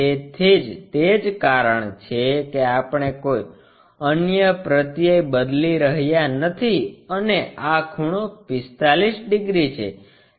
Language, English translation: Gujarati, So, that is the reason we are not changing any other suffixes and this angle is 45 degrees